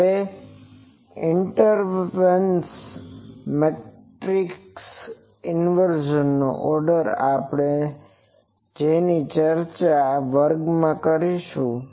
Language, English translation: Gujarati, Now, order of the inversion matrix inversion we will see in class one that we will discuss